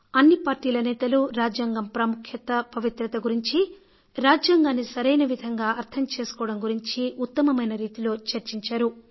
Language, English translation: Telugu, All the parties and all the members deliberated on the sanctity of the constitution, its importance to understand the true interpretation of the constitution